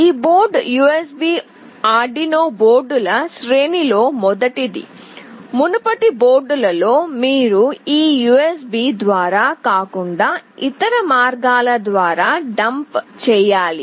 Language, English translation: Telugu, This board is the first in the series of USB Arduino boards, in earlier boards you need to dump it through some other means not through this USB’s